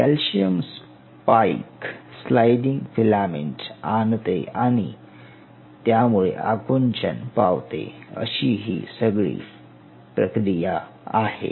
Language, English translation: Marathi, And that spike of calcium brings this sliding filament where this leads to what we call as contraction